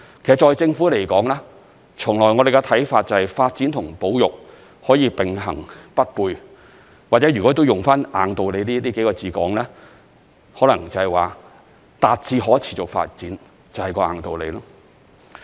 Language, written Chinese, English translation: Cantonese, 其實在政府來說，從來我們的看法是，發展和保育可以並行不悖，或者如果用"硬道理"這幾個字來形容，可能達致可持續發展就是"硬道理"。, Development or conservation? . Actually on the part of the Government we always maintain that development and conservation are not mutually exclusive . If the wording unyielding importance must be used then I will say that perhaps achieving sustainable development is of unyielding importance